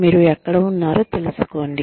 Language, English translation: Telugu, Knowing, where you are